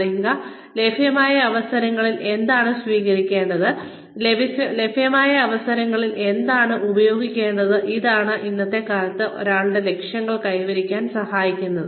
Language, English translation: Malayalam, Knowing, which of the available opportunities to take, which of the available opportunities to make use of, is what helps one achieve, one's goals, in today's day and age